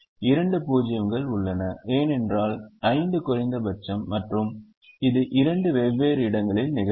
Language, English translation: Tamil, you'll realize that the second row has two zeros because five was the minimum and it occurred in two different places